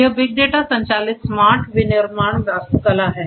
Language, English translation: Hindi, This is this big data driven smart manufacturing architecture